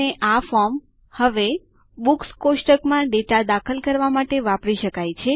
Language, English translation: Gujarati, And this form, now, can be used to enter data into the Books table